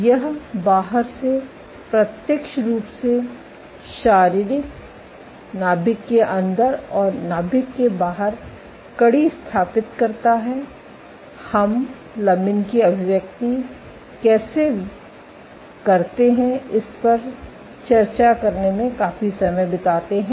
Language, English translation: Hindi, So, this establishes a direct physical connection from outside the nucleus to the inside of the nucleus we also spend considerable amount of time in discussing how expression of lamins